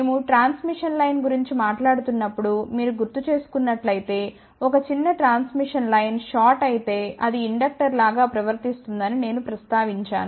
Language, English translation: Telugu, You just recall when we were talking about transmission line, I had mention that a small transmission line if it is shorted it behaves like a inductor